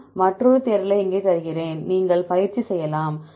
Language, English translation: Tamil, I give another quest another question here you can you can do the exercise